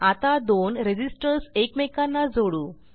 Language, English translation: Marathi, We will now interconnect two resistors